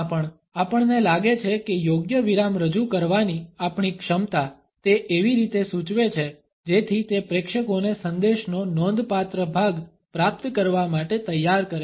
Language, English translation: Gujarati, ” In formal speech also we find that it suggest our capability to introduce a right pause in such a way that it prepares the audience to receive a significant portion of message